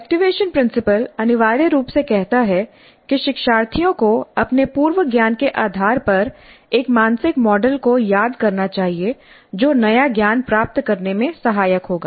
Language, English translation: Hindi, The activation principle essentially says that the learners must recall a mental model based on their prior knowledge which would be helpful in receiving the new knowledge